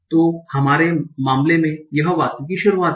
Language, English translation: Hindi, So in our case, that is the beginning of the sentence